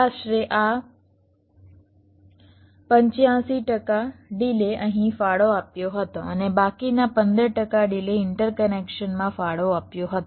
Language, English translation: Gujarati, eighty five percent of delay was contributed here and the rest fifteen percent delay was contributed in the interconnections